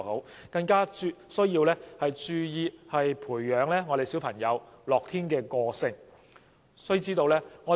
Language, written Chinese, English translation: Cantonese, 此外，家長必須注意培養小朋友樂天的個性。, Furthermore parents must attach importance to developing an optimistic character in their children at an early age